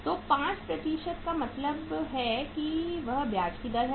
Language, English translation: Hindi, So 5% means it is the rate of interest